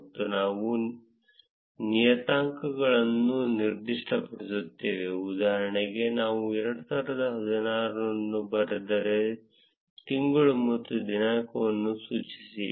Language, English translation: Kannada, And we specify the parameters, for instance, if I write 2016 specify the month and the date